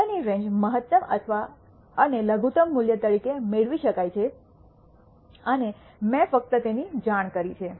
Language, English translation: Gujarati, The range of the data can be obtained as the maximum and minimum value and I have just simply reported it